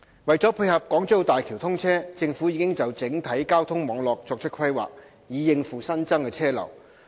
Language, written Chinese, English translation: Cantonese, 為配合港珠澳大橋通車，政府已就整體交通網絡作出規劃，以應付新增車流。, To tie in with the commissioning of the Hong Kong - Zhuhai - Macao Bridge HZMB the Government has made plans for the overall transport network to cope with the additional traffic flow